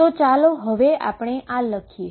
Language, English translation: Gujarati, So, let us write this now